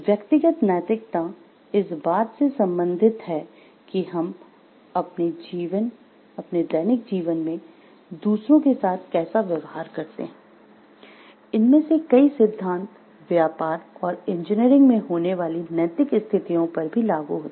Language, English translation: Hindi, So, personal ethics deals with how we treat others in our day to day lives, many of these principles are applicable to ethical situations that occur in business and engineering also